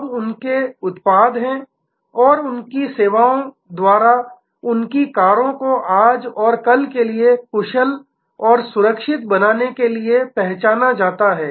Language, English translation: Hindi, Now, their products are and the services are supposed to make the cars of today and of tomorrow smarter and safer